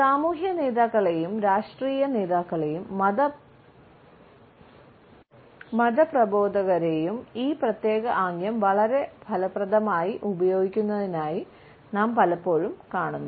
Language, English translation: Malayalam, We often find social leaders, political leaders and religious preachers using this particular movement in a very effective manner